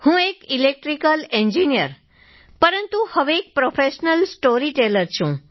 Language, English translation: Gujarati, I am an Electrical Engineer turned professional storyteller